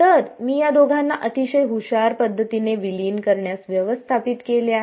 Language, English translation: Marathi, So, I have actually manage to merge these two in a very clever way